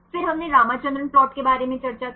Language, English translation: Hindi, Then we discussed about Ramachandran plot right